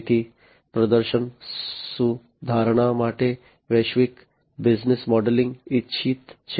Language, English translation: Gujarati, So, global business modelling for performance improvement is what is desired